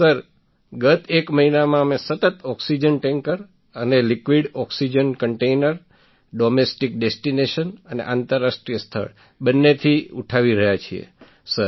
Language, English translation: Gujarati, Sir, from the last one month we have been continuously lifting oxygen tankers and liquid oxygen containers from both domestic and international destinations, Sir